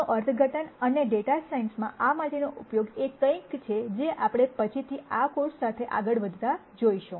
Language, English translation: Gujarati, The interpretation for this and the use for this in data science is something that we will see as we go along this course later